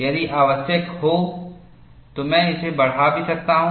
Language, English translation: Hindi, If it is necessary, I can also enlarge it